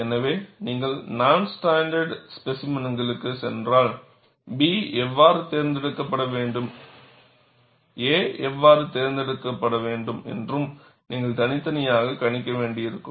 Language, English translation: Tamil, So, if you go for non standard specimens, then, you will have to individually worry for how B should be selected and how a should be selected